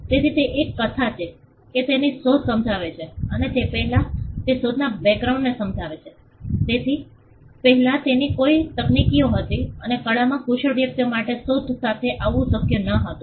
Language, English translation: Gujarati, So, it is a narrative he explains his invention and he also before that he explains the background of the invention; what were the technologies before him and how it was not possible for a person skilled in the art which is his sphere to come up with this invention